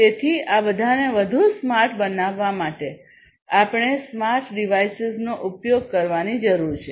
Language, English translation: Gujarati, So, for all of these in order to make them smarter, we need to use smart devices, smart devices, right